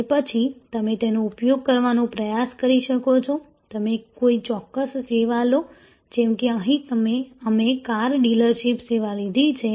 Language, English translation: Gujarati, And then, you can try to do some trial, you take up any particular service, like here we have taken up a car dealerships service